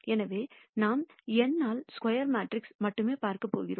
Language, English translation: Tamil, So, we are going only look at square matrices n by n